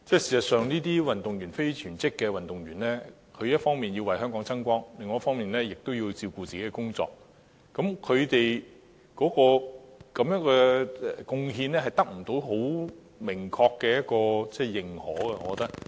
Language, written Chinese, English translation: Cantonese, 事實上，這些非全職運動員一方面要為香港爭光，另一方面也要顧及個人的工作，而我認為他們的貢獻未能得到很明確的認同。, In fact on the one hand these non - full - time athletes hope to win glory for Hong Kong whereas on the other hand they have to take care of their personal working life and I think their contribution has not won clear recognition